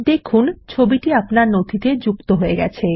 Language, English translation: Bengali, You will see that the image gets inserted into your document